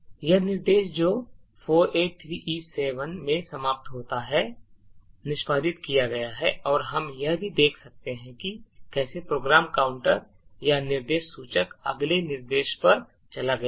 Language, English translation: Hindi, So it says that this instruction which ends in 4a3e7 has executed and we could also see if we disassemble again that the program counter or the instruction pointer has moved to the next instruction